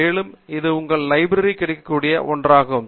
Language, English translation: Tamil, And, this is something that will be available from your library